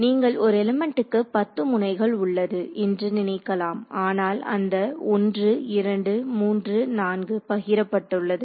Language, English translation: Tamil, 5 into 2 10 you would thing 10 nodes per element, but of those 1 2 3 4 are shared